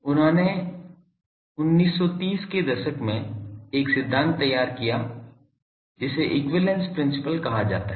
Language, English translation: Hindi, He formulated a principle which is called equivalence principle in 1930s